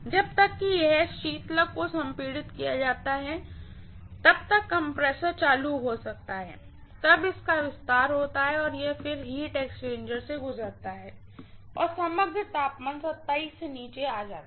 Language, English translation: Hindi, So that compressor is going to be ON for maybe as long as it is the coolant is compressed and then it is expanded and then it goes through the heat exchanger and overall temperature comes down to 27°